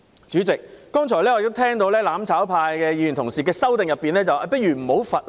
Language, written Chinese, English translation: Cantonese, 主席，我剛才聽到"攬炒派"議員表示，其修正案建議取消罰則。, Chairman I have just heard a Member from the mutual destruction camp saying that his amendment proposes to delete the penalties